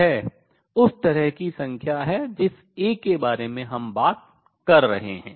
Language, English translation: Hindi, This is the kind of number that we are talking about A